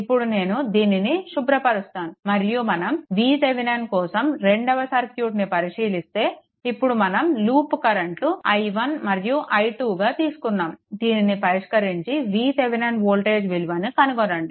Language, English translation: Telugu, Now, let me clear it and when we will come here for V Thevenin, we have taken the loop current right and you have to find out what you have to solve this circuit and you have to find out what is your V Thevenin